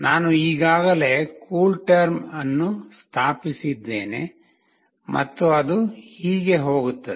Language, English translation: Kannada, I have already installed CoolTerm and this is how it goes